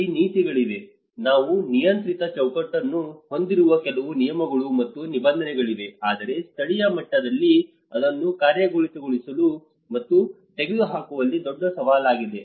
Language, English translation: Kannada, There are policy, there are certain rules and regulations where we have a regulatory framework, but challenges in implementing and take it down at a local level is one of the biggest challenge